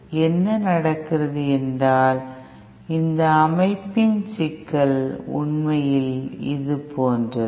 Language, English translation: Tamil, Now what happens is that the problem with this setup is somewhat like this actually